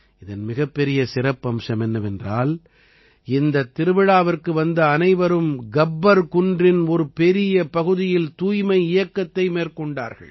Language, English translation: Tamil, The most significant aspect about it was that the people who came to the fair conducted a cleanliness campaign across a large part of Gabbar Hill